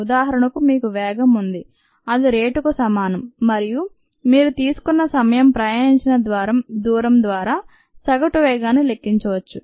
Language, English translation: Telugu, for example, ah, you have speed, which is equivalent of rate, and you could measure an average speed by the distance travelled, by time taken